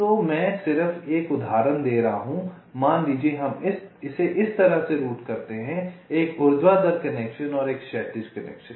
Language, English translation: Hindi, suppose we route it like this: one to vertical connection and one horizontal connection